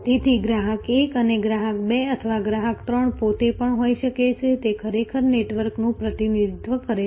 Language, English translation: Gujarati, So, therefore, the customer 1 or customer 2 or customer 3 themselves may also have, it actually represents a network